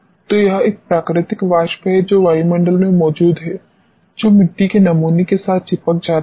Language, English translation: Hindi, So, it is a natural vapor which is present in the atmosphere getting adhere to the soil sample